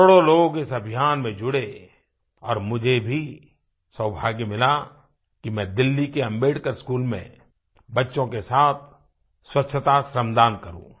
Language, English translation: Hindi, Crores of people got connected with this movement and luckily I also got a chance to participate in the voluntary cleanliness shramdaan with the children of Delhi's Ambedkar School